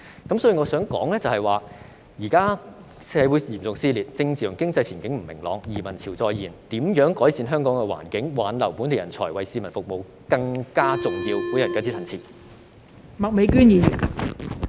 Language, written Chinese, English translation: Cantonese, 所以，我想說的是，現在社會嚴重撕裂，政治和經濟前景不明朗，移民潮再現，如何改善香港環境，挽留本地人才為市民服務，才是更重要的事。, Therefore what I want to say is that at a time of serious social division uncertain political and economic prospects and resurgence of emigration it is more important to improve the environment in Hong Kong and retain local talents to serve the community